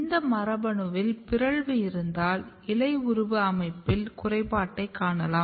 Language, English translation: Tamil, And if you have mutation in that you are going to see the defect in the leaf morphology